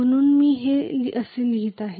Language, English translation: Marathi, So I am writing this like this